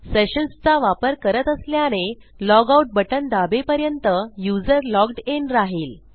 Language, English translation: Marathi, Since were using sessions, the user will remain logged in until they press the logout button